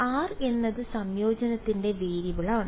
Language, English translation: Malayalam, r is the variable of integration